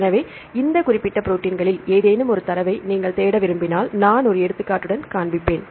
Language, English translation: Tamil, So, if you want to search the data for any of these specific proteins right then I will show with one example